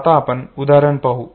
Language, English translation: Marathi, Now we come to the exemplars